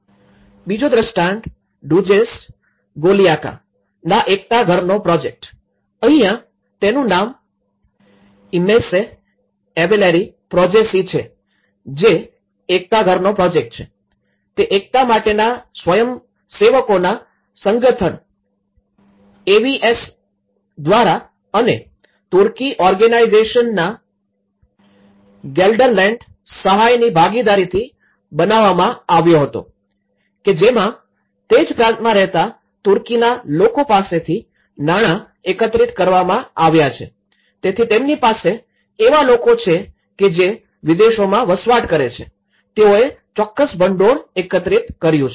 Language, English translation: Gujarati, The second case; Duzce Golyaka solidarity houses project here, the Imece Evleri Projesi which is a solidarity houses project, it was constructed by the association of volunteers for solidarity AVS and within partnership in Gelderland Aid of Turkey Organization which has collected money from Turkish people living in province of, so they have people who are living in overseas, they have collected certain funds